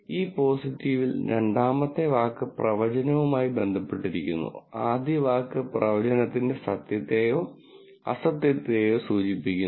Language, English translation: Malayalam, This positive, the second word actually relates to the prediction and the first word refers to the truth or non truth of the prediction